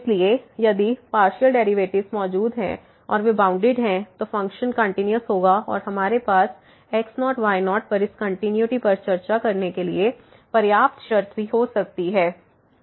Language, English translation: Hindi, So, if the partial derivatives exists and they are bounded, then the function will be continuous and we can also have a sufficient condition to discuss this continuity at naught naught